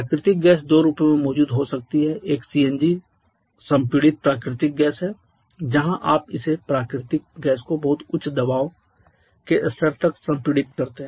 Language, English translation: Hindi, Natural gas can be present in 2 forms one is CNG the compressed natural gas where you compress this natural gas to very high pressure levels